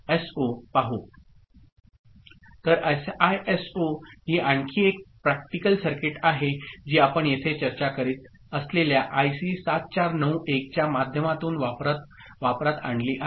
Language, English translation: Marathi, So, SISO this is again another practical circuit which is put into use through IC 7491 that we discuss here